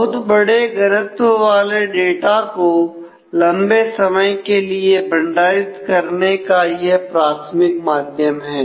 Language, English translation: Hindi, So, this is the primary medium for long term storage of large volume of data